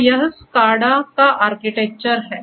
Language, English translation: Hindi, So, here is the Architecture of SCADA